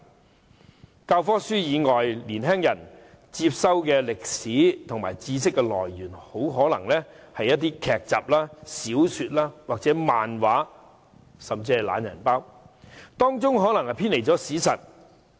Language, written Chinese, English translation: Cantonese, 除了教科書以外，年青人接收歷史知識的來源很可能是一些劇集、小說或漫畫，甚至是"懶人包"，當中的內容可能偏離了史實。, In addition to textbooks youngsters may well acquire historical knowledge from sources like television dramas novels comics or even lazy packs but the contents of them may deviate from historical facts